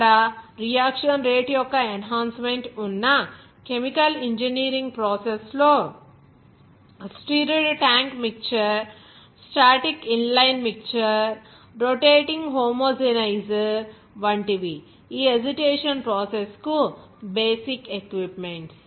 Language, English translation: Telugu, Even enhancement of the reaction rate there, in the chemical engineering process like stirred tank mixture, static inline mixer, rotating homogenizer, these are the basic equipment for these agitation mixing process